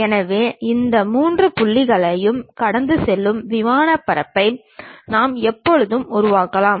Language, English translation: Tamil, So, we can always construct a plane surface which is passing through these three points